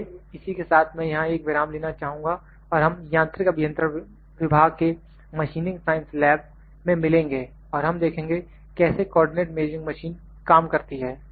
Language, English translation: Hindi, So, with this I will just like to take a break here and we will meet in the machining science lab in mechanical engineering department in the laboratory and we will see how co ordinate measuring machine works